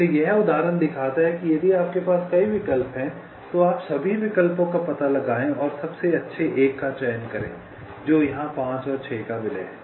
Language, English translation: Hindi, so this example shows if you have multiple choices, you explore all the alternatives and select the best one, and that there is namely merging five and six